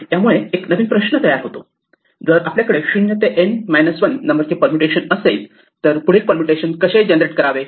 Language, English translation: Marathi, This give rise to the following question; if we have a permutation of 0 to N minus 1 how do we generate the next permutation